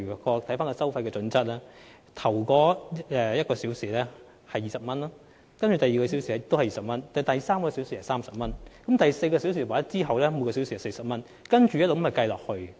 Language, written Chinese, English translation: Cantonese, 根據收費準則，第一小時收費20元，第二小時收費亦是20元，第三小時是30元，而第四小時及其後每小時則是40元，如此類推。, According to the fee standard the fee for the first hour is 20 so is the second hour; the fee for the third hour is 30; and the fee for the fourth hour and thereafter is 40 per hour and it will increase on a progressive scale